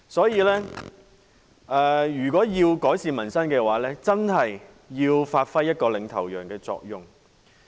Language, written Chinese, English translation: Cantonese, 因此，如果要改善民生的話，政府真的要發揮領頭羊的作用。, The Government really needs to take a leading role if it is going to improve peoples livelihood